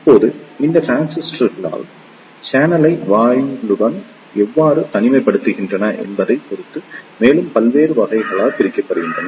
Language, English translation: Tamil, Now, these transistors are further subdivided into various categories depending upon how the channel is isolated with the gate